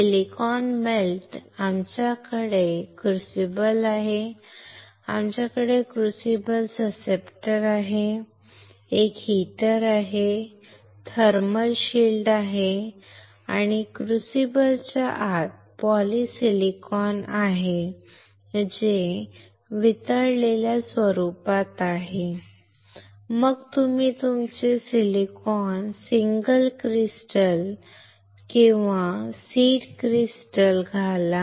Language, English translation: Marathi, Silicon melt, we have crucible, we have crucible susceptor, we have a heater, we have a thermal shield, inside this crucible there is polysilicon which is in melted form then you insert your silicon single crystal or seed crystal